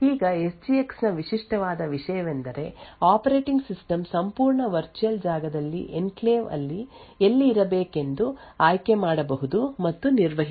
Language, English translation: Kannada, Now the unique thing about the SGX is that the operating system can choose and manage where in the entire virtual space the enclave should be present